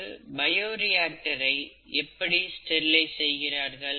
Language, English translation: Tamil, How is a bioreactor sterilized